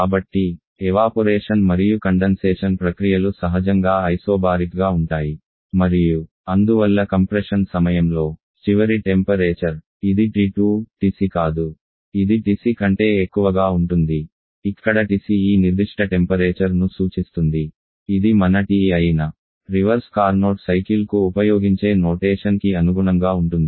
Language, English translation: Telugu, So, both evaporation and condensation process and isobaric in nature and therefore during the compression the final temperature this T2 is not TC rather it is greater than TC refers to this particular temperature just being continuous consistent with the notation used for the reverse Carnot cycle where this is our TE